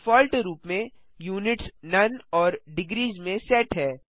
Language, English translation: Hindi, By default, Units is set to none and degrees